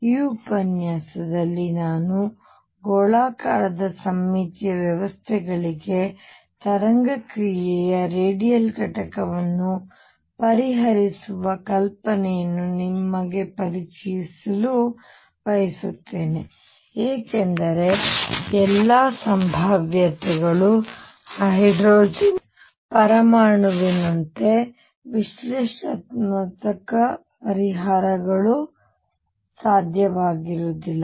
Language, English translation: Kannada, In this lecture I want to introduce you to the idea of solving the radial component of the wave function for a spherically symmetric systems, because not all potentials are such where analytical solutions are possible like they were for the hydrogen atom